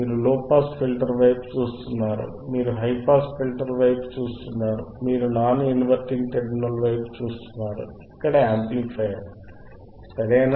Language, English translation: Telugu, You are looking at the low pass filter, you are looking at the high pass filter, you are looking at the non inverting amplifier here, right